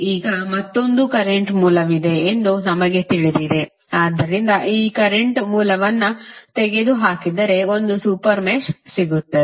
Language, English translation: Kannada, Now, we know that there is another current source, so if you remove this current source you will get one super mesh as this one, right